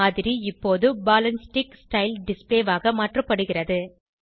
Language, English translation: Tamil, The model is now converted to ball and stick style display